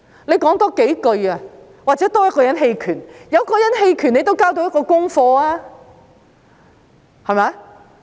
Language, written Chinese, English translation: Cantonese, 你多說幾句，爭取多一個人棄權，你也能當作下了工夫，對嗎？, If you say a few more words to secure one more abstention vote you can still be seen as having made an effort right?